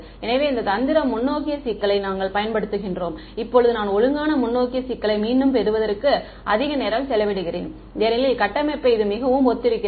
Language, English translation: Tamil, So, we this is the strategy that we use for the forward problem, now the reason I am spending so much time on recapping the forward problem is because the inverse problem is very similar in structure ok